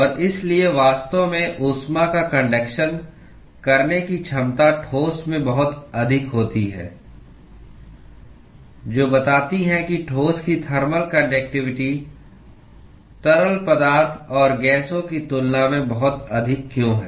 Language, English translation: Hindi, And therefore, the ability to actually conduct heat is at much higher in solids, which explains why the thermal conductivity of solids is much higher than that of liquids and gases